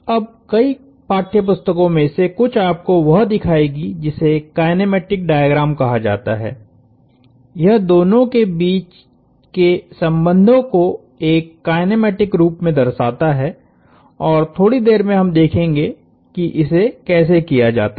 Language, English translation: Hindi, Now, some of the several text books will show you, what is called a kinematic diagram; that shows the relationships between the two in a kinematic sense and we will see how to do that in a short while